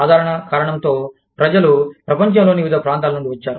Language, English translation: Telugu, For the simple reason that, people come from different parts of the world